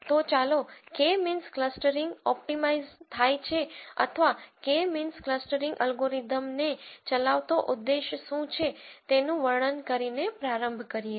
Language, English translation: Gujarati, So, let us start by describing what K means clustering optimizes or what is the objective that is driving the K means clustering algorithm